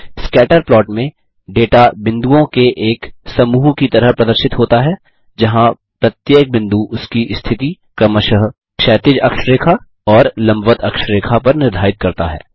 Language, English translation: Hindi, In a scatter plot, the data is displayed as a collection of points, where each point determines its position on the horizontal axis and the vertical axis respectively